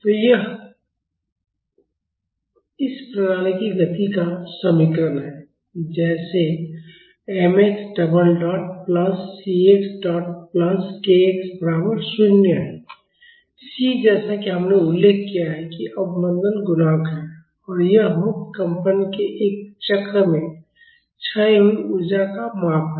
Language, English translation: Hindi, So, this is the equation of motion of this system it is like mx double dot plus cx dot plus kx is equal to 0; c as we have mentioned is the damping coefficient and this is a measure of energy dissipated in one cycle of free vibration